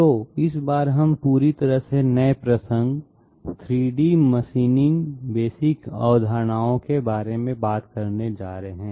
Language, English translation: Hindi, So this time we are going to deal with completely new topic, 3D machining Basic concepts